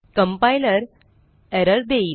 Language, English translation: Marathi, The compiler gives an error